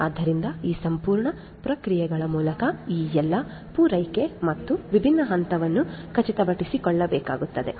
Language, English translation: Kannada, So, all these supply through these entire processes and the different steps will have to be ensured